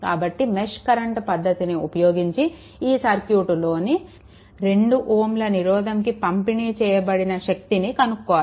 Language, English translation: Telugu, You have to using mesh current method; you have to determine that power delivered to the 2 ohm resistor in the circuit shown in figure this